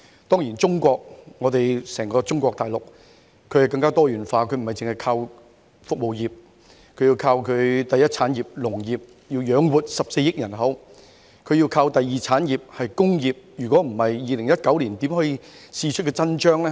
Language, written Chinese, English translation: Cantonese, 當然，中國大陸更加多元化，並不單單依靠服務業，而要依靠第一產業亦即農業來養活14億人口，亦要依靠第二產業即工業，否則便不能在2019年試出真章。, The economy of Mainland of China is of course more diversified and instead of relying solely on service industries it has sought to feed its huge population of 1.4 billion with the development of the primary industries . There is also a need to depend on the secondary industries otherwise it would not have been possible for the country to stand up to the test in 2019